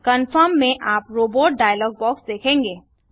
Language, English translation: Hindi, In the confirm you are not a Robot dialog box